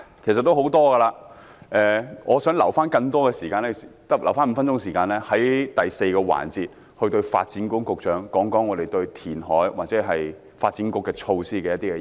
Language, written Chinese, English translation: Cantonese, 我在本節發言中提出了很多意見，但我想預留5分鐘時間，在第四個辯論環節向發展局局長表達我們對填海或發展局措施的意見。, In this session I have voiced many of my views . But I want to leave five minutes for the fourth debate session to express our views concerning reclamation or the measures of the Development Bureau to the Secretary for Development